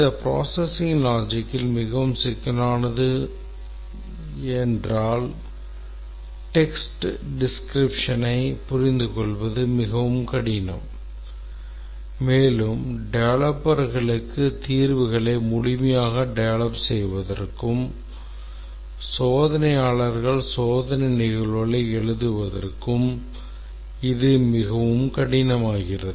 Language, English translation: Tamil, If this processing logic is very complex, just a text description becomes very difficult to understand and for the developers to be able to meaningfully develop solutions to that and also for the testers to write test cases